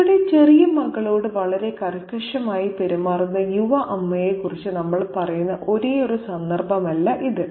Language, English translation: Malayalam, Now this is not the only context where we hear about the young mother being very severe towards her little daughter